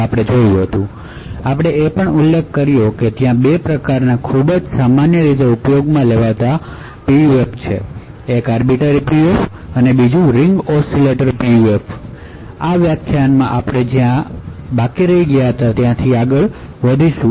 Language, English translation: Gujarati, We also mentioned that there are 2 types of very commonly used PUFs, one was the Arbiter PUF and other was the Ring Oscillator PUF, so in this lecture we will continue from where we stopped